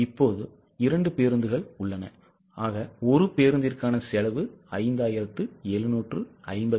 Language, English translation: Tamil, There are two buses and one bus costs 5756